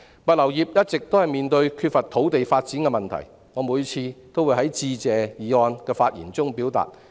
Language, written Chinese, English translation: Cantonese, 物流業一直面對缺乏土地發展的問題，我每次都會在致謝議案辯論的發言中提出。, The logistics industry has long been beset with the shortage of land for development . Every time I made a speech in the debate on the Motion of Thanks I would raise this point